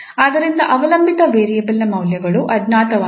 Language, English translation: Kannada, The derivative of the dependent variable is known